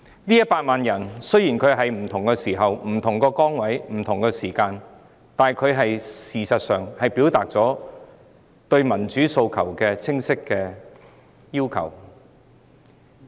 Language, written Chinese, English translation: Cantonese, 這100萬人雖在不同時間、不同崗位、不同地點投入運動之中，但事實上他們已清晰表達了其民主訴求。, Although these people took part in the Movement at different times by playing different roles in different places they have in fact clearly expressed their aspirations for democracy